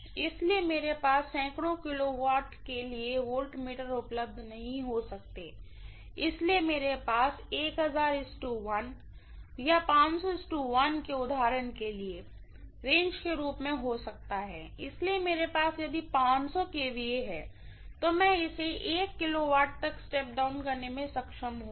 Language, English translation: Hindi, So I may not have voltmeter available for hundreds of kilovolts, so I may have this as 1000 is to 1 or 500 is to 1 for example, as the range, so because of which if I am having 500 kV, I would be able to step it down as 1 kV and I would be able to measure this with the help of a voltmeter